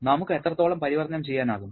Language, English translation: Malayalam, And how much can we convert